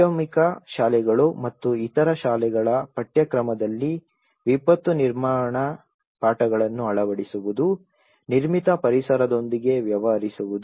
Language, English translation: Kannada, Incorporating the disaster management lessons in the curriculum of secondary schools and other schools that deal with the built environment